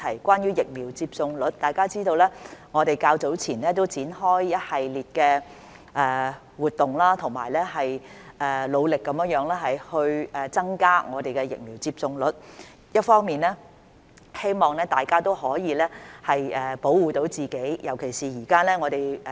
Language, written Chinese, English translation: Cantonese, 關於疫苗接種率，大家知道我們較早前展開了一系列的活動，努力地增加我們的疫苗接種率；一方面，這是希望大家都可以保護自己。, Regarding the vaccination rate as you know we have launched a series of activities earlier to increase our vaccination rate . On the one hand it is our hope that people can protect themselves